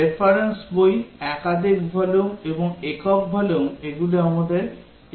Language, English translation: Bengali, Reference book, multiple volume and single volume these are our equivalence classes